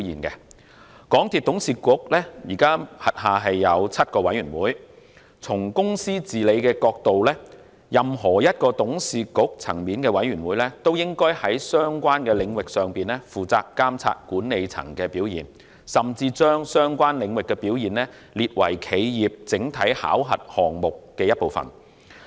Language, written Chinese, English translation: Cantonese, 港鐵公司董事局現時轄下有7個委員會，從公司治理的角度看，任何董事局層面的委員會均應在相關的領域上負責監察管理層的表現，甚至把相關領域的表現列為企業整體考核項目的一部分。, There are now seven committees under the MTRCL board . From a corporate governance perspective all committees within the board level should be responsible for supervising management performance in their respective areas and the performance in a relevant area should even be made a part of the overall appraisal coverage for the corporation . Capital works are not a major business area of MTRCL